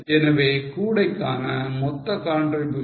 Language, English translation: Tamil, So, total contribution for the basket is 26